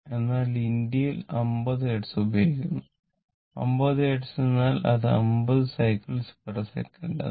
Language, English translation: Malayalam, But India is 50 Hertz, 50 Hertz means it is 50 cycles per second this is the frequency right